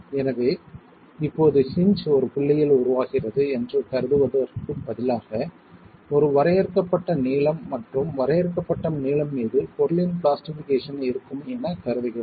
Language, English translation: Tamil, So now instead of assuming that the hinge is forming at the point, we are assuming a finite length and over finite length over which there is plastication of the material